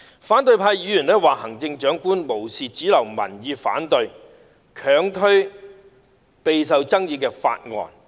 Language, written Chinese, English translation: Cantonese, 反對派議員說行政長官"無視主流民意反對，強推備受爭議的法案"。, The opposition Members accuse the Chief Executive of disregard of mainstream opposing views and unrelentingly pushing through a highly controversial bill